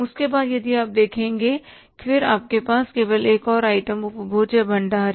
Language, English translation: Hindi, After that if you see then we have only one more item consumable stores